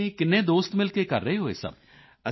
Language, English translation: Punjabi, How many of your friends are doing all of this together